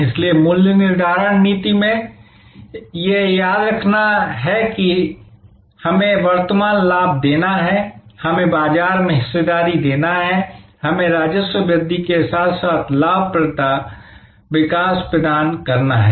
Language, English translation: Hindi, So, in pricing policy therefore to remembering that it is to give us current profit, give us growth in market share, give us revenue growth as well as profitability growth